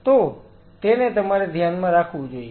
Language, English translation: Gujarati, That is something one has to keep in mind